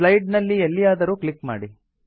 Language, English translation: Kannada, Click anywhere in the slide